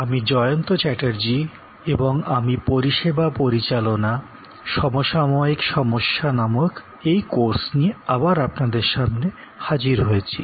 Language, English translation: Bengali, Hello, I am Jayanta Chatterjee and I am interacting with you on this course called Managing Services contemporary issues